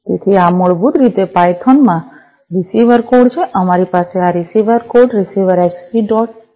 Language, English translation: Gujarati, So, this is basically the receiver code in python we have this receiver code receiver Xbee dot p y